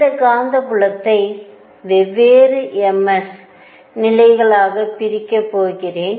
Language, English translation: Tamil, So, this is the magnetic field, I am going to have levels split for different m s